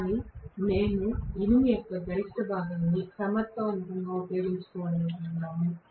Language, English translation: Telugu, But we would like to utilize the maximum portion of the iron effectively